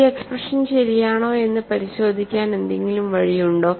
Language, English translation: Malayalam, Is there a way to verify that this expression is correct